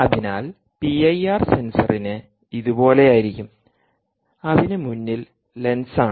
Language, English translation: Malayalam, so the p i r sensor will have will be something like this, which are lens in the front and um